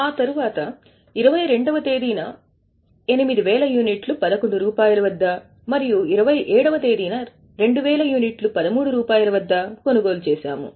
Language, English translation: Telugu, After that on 22nd, 8,000 units at 11 and 27, 2,000 units at 13